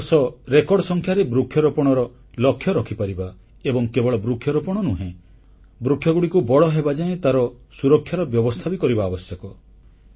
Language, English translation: Odia, The rainy season is fast approaching; we can set a target of achieving record plantation of trees this time and not only plant trees but also nurture and maintain the saplings till they grow